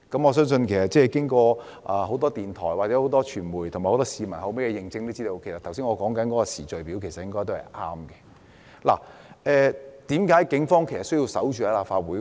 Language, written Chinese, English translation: Cantonese, 我相信經過很多電台、傳媒或市民的認證後，我剛才所述的時序應該是正確的。為何警方要守在立法會門前？, I believe that after verification by many radio stations the media and the public the time sequence that I just mentioned should be correct Why should the Police station outside the Complex?